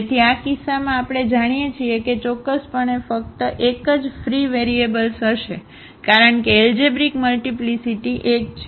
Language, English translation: Gujarati, So, in this case we know that there will be only one free variable definitely because the algebraic multiplicity is 1